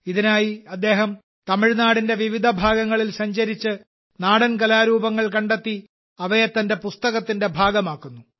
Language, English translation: Malayalam, For this, he travels to different parts of Tamil Nadu, discovers the folk art forms and makes them a part of his book